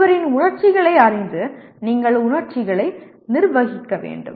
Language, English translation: Tamil, Knowing one’s emotions you have to manage the emotions